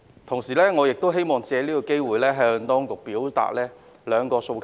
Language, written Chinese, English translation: Cantonese, 同時，我希望借此機會向當局表達兩個訴求。, Meanwhile I would like to take this opportunity to convey my two requests to the Administration